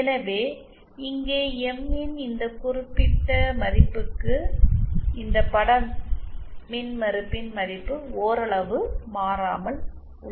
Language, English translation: Tamil, So here, for this particular value of M the value of this image impedance remains somewhat constant